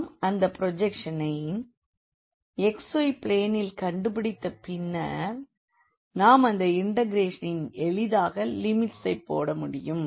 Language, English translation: Tamil, And, then once we have figured out this projection on the xy plane then we can easily put the limits of the integration